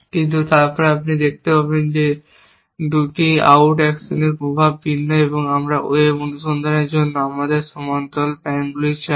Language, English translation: Bengali, But, then you can see that the effect of these 2 out actions is different, we want our parallel pans to web search that they can always be linearise to give us a solution plan